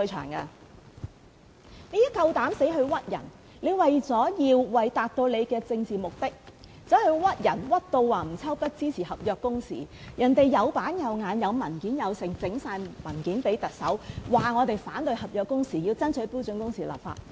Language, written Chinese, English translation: Cantonese, 郭家麒膽敢在這裏誣衊人，他為了達到自己的政治目的，誣衊吳秋北支持合約工時，人家做事有板有眼，有文件交給特首，表示反對合約工時，要爭取標準工時立法。, Out of his own political purposes KWOK Ka - ki dared slander other people accusing Stanley NG of supporting contractual working hours . Stanley NG followed the proper procedure when dealing with this issue . He submitted papers to the Chief Executive to express his opposition to contractual working hours and his aspiration of enacting legislation on standard working hours